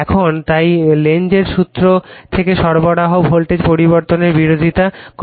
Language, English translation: Bengali, Now, therefore, the supply voltage from the Lenz’s laws it opposes the change right